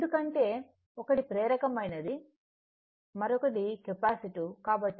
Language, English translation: Telugu, Because, one is inductive another is capacitive